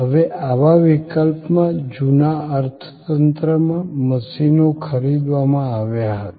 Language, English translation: Gujarati, Now, in these cases, the machines in the old economy were purchased